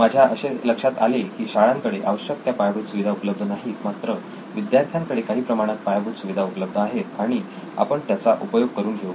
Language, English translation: Marathi, What I am hearing is that schools do not have the infrastructure, but students do have some kind of infrastructure and we will use that